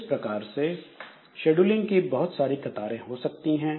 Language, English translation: Hindi, So, this way there can be different types of scheduling queues